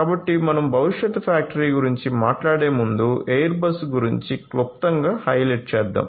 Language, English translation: Telugu, So, before I talk about the factory of the future let me give you a brief highlight about Airbus